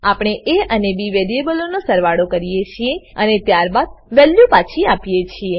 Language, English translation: Gujarati, We add the variables a and b And then return the value